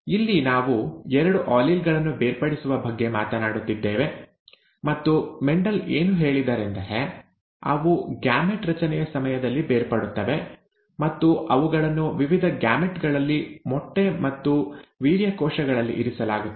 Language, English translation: Kannada, Here we are talking about the separation of the two alleles, and what Mendel said was that they segregate during gamete formation and are placed in different gametes, the egg and the sperm cells